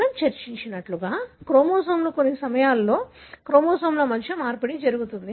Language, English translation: Telugu, So, as we discussed, the chromosomes, at times there are exchange between the chromosomes